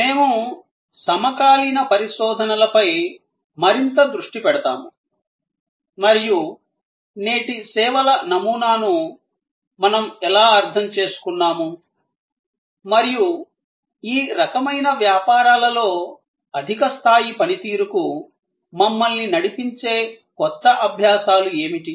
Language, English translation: Telugu, We will focus more and more on our contemporary research and how we understand today’s paradigm of services and what are the new learning's, that are leading us to higher level of performance in these kind of businesses